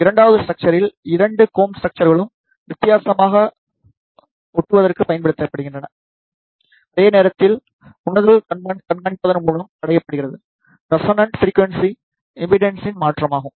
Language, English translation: Tamil, In the second structure both the comb structures are used to drive differentially, while the sensing is achieved by monitoring, the shift in the impedance at the resonance frequency